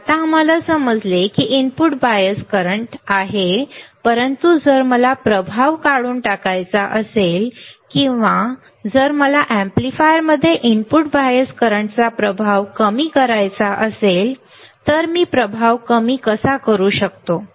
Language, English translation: Marathi, Now, we understand input bias current is there, but if I want to remove the effect or if I want to minimize the effect of the input bias current in an amplifier, this is how I can minimize the effect